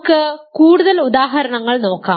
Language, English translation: Malayalam, So, let us look at more examples